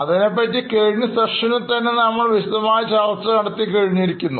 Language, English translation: Malayalam, That is what we had discussed in the last session